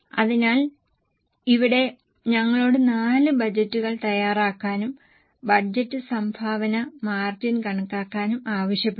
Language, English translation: Malayalam, So, here we were asked to prepare 4 budgets and also compute the budgeted contribution margin